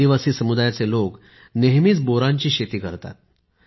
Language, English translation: Marathi, The members of the tribal community have always been cultivating Ber